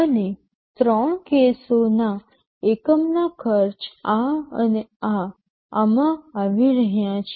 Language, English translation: Gujarati, And the unit costs for the three cases are coming to this, this and this